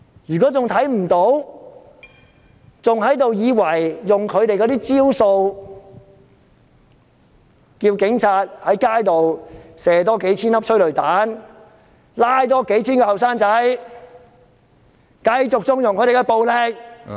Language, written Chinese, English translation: Cantonese, 如果仍然看不到，還以為用他們的招數，叫警察在街上多發射數千枚催淚彈、多拘捕數千名年青人，繼續縱容警察的暴力......, If they still turn a blind eye to this and think that their approach of asking the Police to fire a few thousand more cans of tear gas and arrest a few thousand more young people continuing to condone police brutality